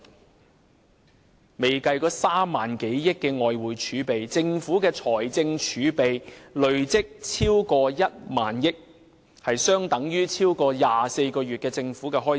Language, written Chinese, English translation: Cantonese, 還未計及3萬多億元外匯儲備，政府的財政儲備累積已逾1萬億元，即相當於超過24個月的政府開支。, Excluding the foreign currency reserve of more than 3,000 billion the Government has already accumulated a fiscal reserve exceeding 1,000 billion which is equivalent to the amount of government expenditures for over 24 months